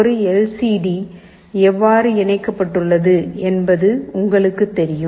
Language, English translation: Tamil, You know how a LCD is interfaced